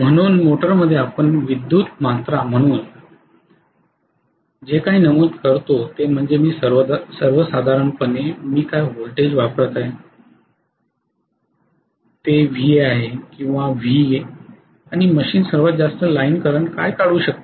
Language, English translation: Marathi, So in the motor what we specify as electrical quantities will be what is the voltage I am applying that is VA or V in general and what is the maximum line current the machine can draw